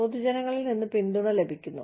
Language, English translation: Malayalam, Getting support from the general public